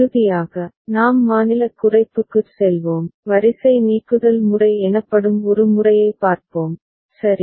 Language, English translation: Tamil, And finally, we shall move to state minimization and we shall look at one method called row elimination method, ok